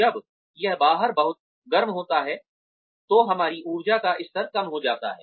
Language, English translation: Hindi, When it is very hot outside, our energy levels do go down